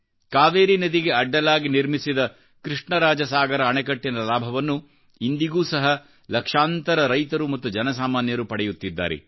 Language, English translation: Kannada, Lakhs of farmers and common people continue to benefit from the Krishna Raj Sagar Dam built by him